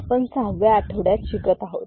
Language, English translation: Marathi, We are in week 6 of this particular course